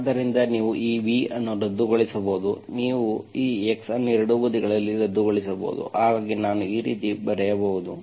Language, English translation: Kannada, So you can cancel this v, you can cancel this x both sides, so I can write like this